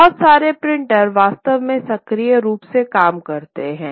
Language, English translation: Hindi, A lot of printers actually did that